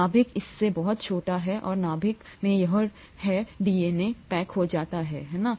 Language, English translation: Hindi, The nucleus is much smaller than that and in the nucleus this DNA gets packaged, right